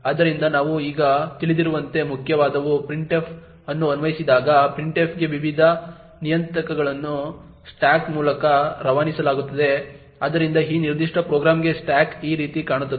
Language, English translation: Kannada, So, as we know by now that when main invokes printf, the various parameters to printf are passed via the stack, so the stack for this particular program would look something like this